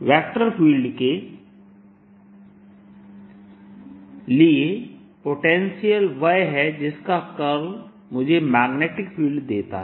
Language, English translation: Hindi, it is a vector potential whose curl gives me magnetic field